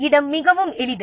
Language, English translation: Tamil, Space is very simple